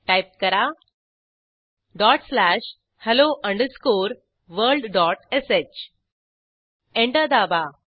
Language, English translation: Marathi, Now Type dot slash hello underscore world dot sh Press Enter